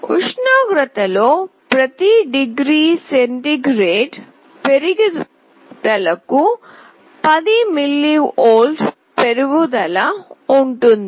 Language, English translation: Telugu, There is a 10 mV increase for every degree centigrade rise in temperature